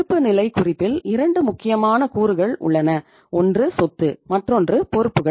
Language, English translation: Tamil, In the balance sheet we have 2 important components; one is the asset and other is the liabilities